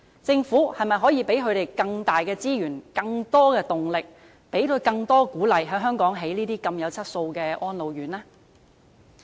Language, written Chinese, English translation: Cantonese, 政府可否為他們提供更多資源、動力和鼓勵，在香港興建有質素的安老院呢？, Can the Government offer them more resources impetus and encouragement for building quality RCHEs in Hong Kong?